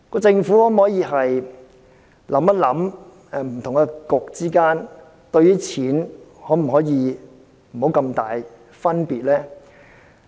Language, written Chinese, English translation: Cantonese, 政府可否想想，不同的政策局之間，在花錢方面，可否不要有這麼大的差別呢？, Can the Government give it some thoughts and pre - empt such a great disparity between different Policy Bureaux in spending money?